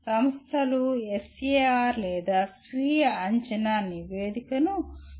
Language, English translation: Telugu, The institutions, the SAR or Self Assessment Report is prepared by the department